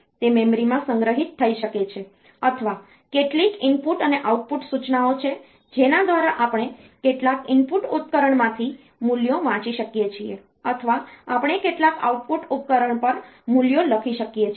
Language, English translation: Gujarati, It may be stored in the memory or there are some input and output instructions by which we can read the values from some input device or we can write the values to some output device